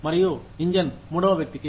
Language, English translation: Telugu, And, the engine to third person